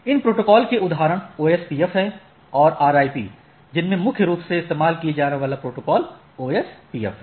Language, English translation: Hindi, Examples of these protocols are OSPF and RIP predominantly used protocol is OSPF